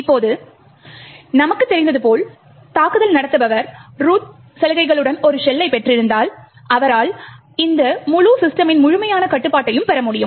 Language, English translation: Tamil, Now, as we know if the attacker obtains a shell with root privileges then he gets complete control of the entire system